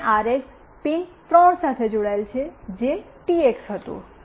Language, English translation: Gujarati, And RX is connected with pin 3, which was be TX